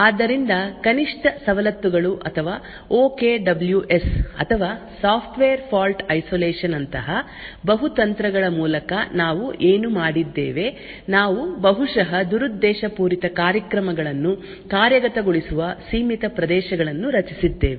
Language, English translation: Kannada, So, what we did through multiple techniques such as least privileges or the OKWS or the software fault isolation we had created confined areas which executed the possibly malicious programs